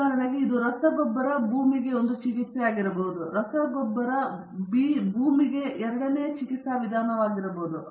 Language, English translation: Kannada, For example, it can be fertilizer A can be one treatment to the land, and fertilizer B can be the second treatment to the land, and so on